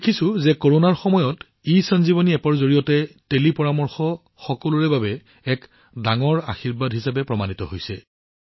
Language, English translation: Assamese, We have seen that in the time of Corona, ESanjeevani App has proved to be a great boon for the people